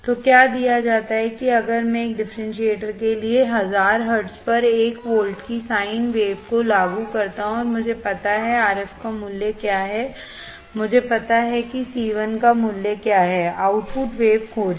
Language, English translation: Hindi, So, what is given that if I apply a sin wave 1 volt peak to peak at 1000 hertz right to a differentiator right, and I know what is value of RF, I know what is the value of C 1, find the output waveform